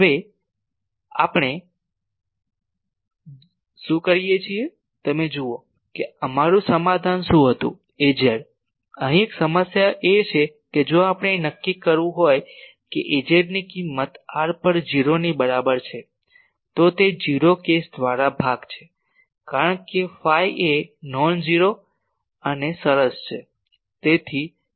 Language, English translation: Gujarati, Now, what we do, you see what was our solution Az was here is a problem that if we want to determine what is the value of Az at r is equal to 0, it is a division by 0 case because phi is a nonzero and fine